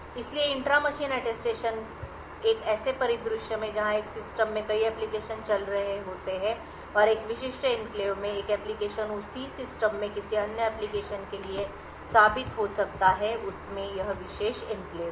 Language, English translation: Hindi, So, the intra machine Attestation in a scenario where there are multiple applications running in a system and one application having a specific enclave can prove to another application in the same system that it has this particular enclave